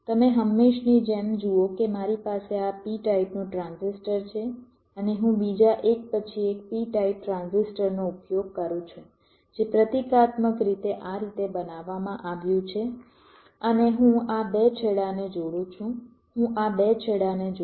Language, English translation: Gujarati, you see, just as usual, i have a, this kind of a n type transistor, and i use another back to back p type transistor, symbolically shown like this, and i connect these two ends